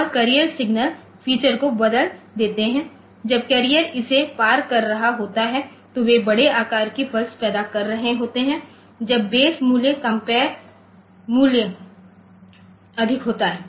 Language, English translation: Hindi, So, those changes the carrier signal feature when the carrier is crossing this they are generating a pulse of larger, when the base value is the compare value is higher